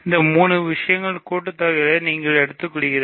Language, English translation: Tamil, So, you take the sum of these 3 things